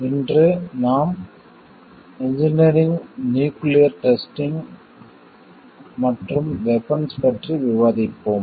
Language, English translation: Tamil, Today we will be discussing on Engineering, Nuclear Testing and Weapons